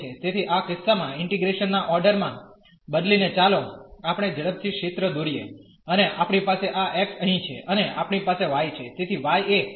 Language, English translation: Gujarati, So, changing the order of integration in this case again let us quickly draw the region, and we have this x here and we have y